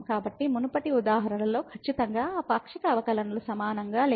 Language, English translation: Telugu, So, in the previous example definitely those partial derivatives were not equal